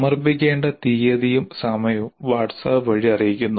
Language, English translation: Malayalam, Date and time of submission are communicated through WhatsApp